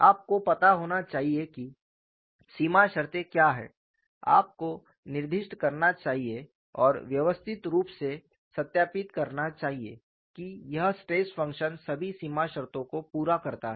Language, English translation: Hindi, You should know, what are the boundary conditions, you should specify and systematically verify that this stress function satisfies all the boundary condition